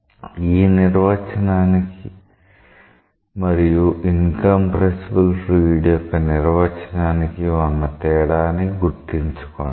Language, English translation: Telugu, Keep in mind the distinction between this definition and incompressible fluid definition